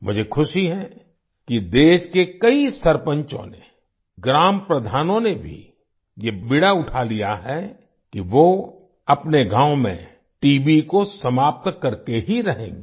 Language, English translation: Hindi, I am happy that many sarpanchs of the country, even the village heads, have taken this initiative that they will spare no effort to uproot TB from their villages